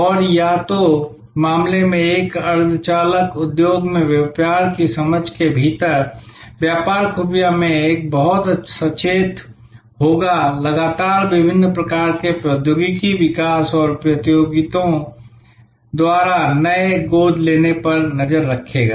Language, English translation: Hindi, And in either case within the business intelligences in a semiconductor industry, In business intelligence, one would be very conscious, constantly tracking the various kinds of technology developments and new adoptions by competitors